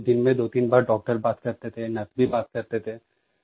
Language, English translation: Hindi, Twice or thrice a day, doctors would speak to me…nurses too